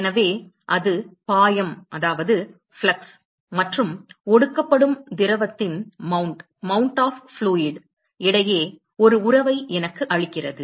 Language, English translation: Tamil, So, that tells me, gives me a relationship between the flux and the mount of fluid that is condensing right